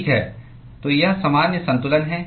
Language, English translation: Hindi, Alright, so this is the general balance